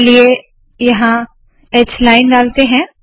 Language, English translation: Hindi, Lets put a h line here